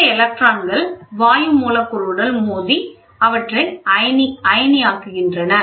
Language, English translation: Tamil, These electrons collide with the gas molecules and ionize them